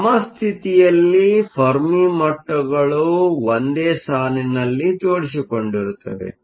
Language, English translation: Kannada, In equilibrium, the Fermi levels will line up